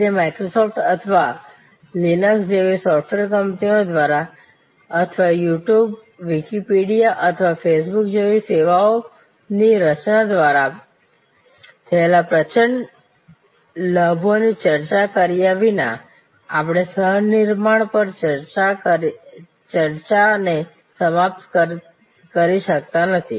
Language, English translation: Gujarati, And of course, we cannot conclude a discussion on co creation without discussing the enormous gains that have been made by come software companies, like Microsoft or Linux or creation of services, like YouTube, Wikipedia or facebook